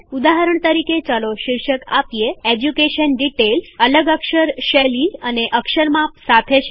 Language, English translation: Gujarati, For example, let us give the heading, Education Details a different font style and font size